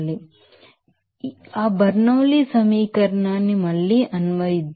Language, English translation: Telugu, So, let us again apply that Bernoulli’s equation